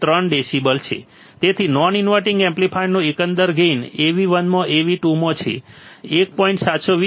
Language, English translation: Gujarati, Therefore, the overall gain of the non inverting amplifier is Av1 into Av2 is 1